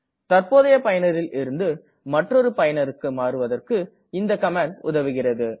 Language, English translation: Tamil, This command is useful for switching from the current user to another user